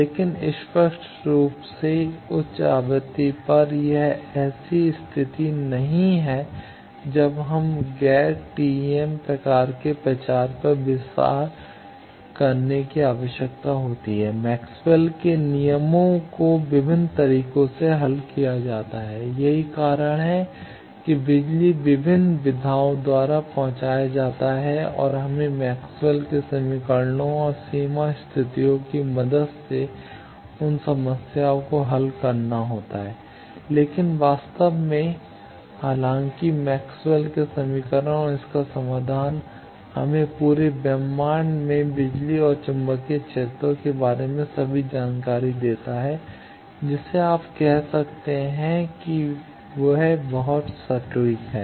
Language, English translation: Hindi, But at higher frequency obviously, that is not the case there we need to consider the non TEM type of propagation Maxwell’s laws gets solved there by various modes that is why power gets transported by various modes and we will have to solve those problems with the help of Maxwell’s equations and boundary conditions, but in reality though Maxwell’s equation and its solution gives us all the information about the electric and magnetic field throughout the whole universe you can say and we are very exact